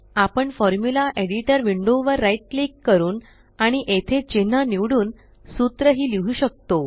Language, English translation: Marathi, We can also write a formula by right clicking on the Formula Editor window and selecting symbols here